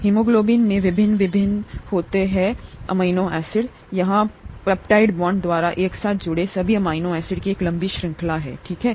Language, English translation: Hindi, The haemoglobin consists of various different amino acids here a long chain of amino acids all connected together by peptide bonds, okay